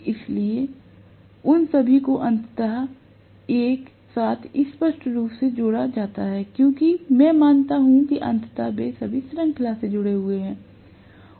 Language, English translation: Hindi, So, all of them are ultimately added together clearly because I assume that all of them are connected in series, ultimately